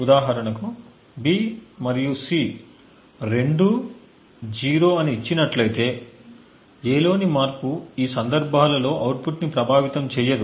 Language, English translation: Telugu, For example, given that B and C are both 0s, a change in A does not influence the output in any of these cases